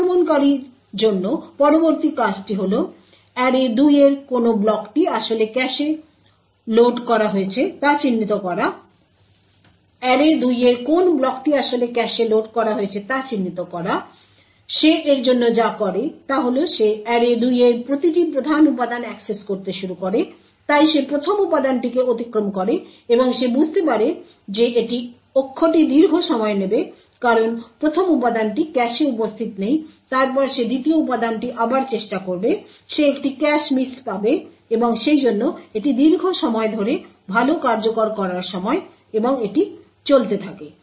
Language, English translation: Bengali, The next thing to do for the attacker is to identify which block in array2 has actually been loaded into the cache what he does for this is that he starts to access every main element in array2 so he excesses the first element and he figures out that this axis is going to take a long time because the first element is not present in the cache then he would try the second element again he would get a cache miss and therefore along a longer good execution time and this continues